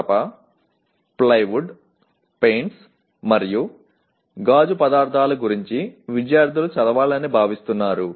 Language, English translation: Telugu, Students are expected to read about timber, plywood, paints and glass materials